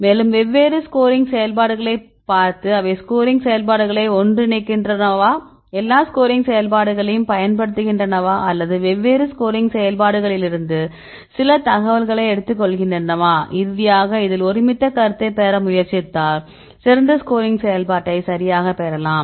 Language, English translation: Tamil, So, in this case they try to use experimental data, and see different scoring functions and they merges scoring functions either they use all the scoring functions or take some information from different scoring functions and finally, they try to get the consensus one right in this case you can get the better scoring function right